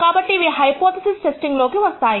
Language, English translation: Telugu, So, these are come under the category of hypothesis testing